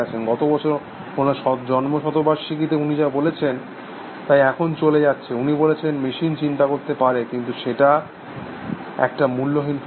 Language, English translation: Bengali, If he were alive today, what he says last year was his birth centenary and lots of things were going on, he says that the question whether machines can think is just a meaningless question